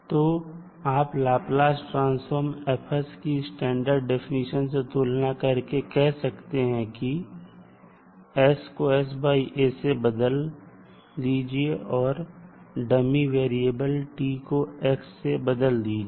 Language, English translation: Hindi, So you can say that when we compare the definition of Laplace transform shows that s is this, the standard definition and you simply replace s by s by a while you change the dummy variable t with x